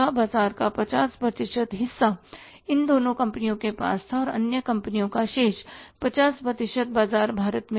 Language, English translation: Hindi, 50% of the market was with these two companies and the other companies were having the remaining 50% market of India